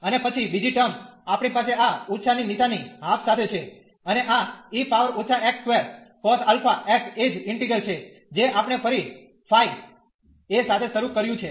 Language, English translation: Gujarati, And then the second one, we have this minus sin with half and this e power minus x square cos alpha x the same integral, which we have started with phi a